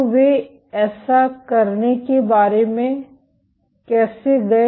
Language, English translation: Hindi, So, how did they go about doing that